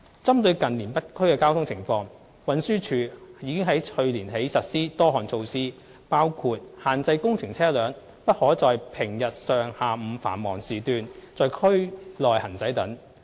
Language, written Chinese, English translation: Cantonese, 針對近年北區的交通情況，運輸署自去年起已實施多項措施，包括限制工程車輛不可在平日上、下午繁忙時段在區內行駛等。, In view of the traffic situation in the North District in the past few years TD has since last year implemented a host of measures including prohibiting construction vehicles from using district roads during morning and afternoon peak periods on weekdays